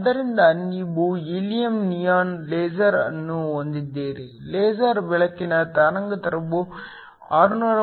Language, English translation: Kannada, So, you have a helium neon laser, the wavelength of the laser light is 632